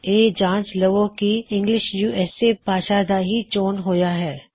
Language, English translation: Punjabi, Check that English USA is our language choice